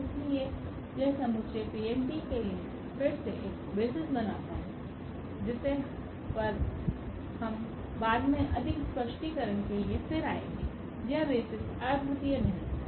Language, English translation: Hindi, So therefore, this set forms a basis for P n t again which we will also come later on to more clarification, the basis are not unique